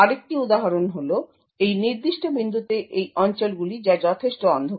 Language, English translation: Bengali, So another example is these regions at this particular point, which are considerably darker